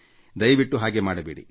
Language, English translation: Kannada, So, avoid doing that